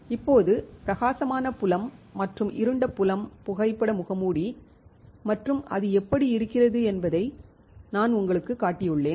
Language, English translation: Tamil, Now, I have shown you bright field and dark field photo mask and how it looks